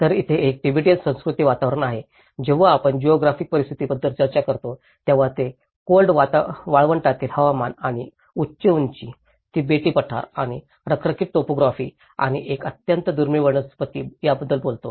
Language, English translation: Marathi, So, there is a Tibetan cultural environment, when we talk about the geographic conditions, it talks about the cold desert climate and high altitude, Tibetan plateau and the arid topography and a very scarce vegetation